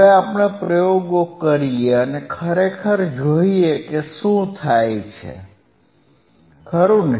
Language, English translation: Gujarati, Now let us perform the experiments and let us see in reality what happens, right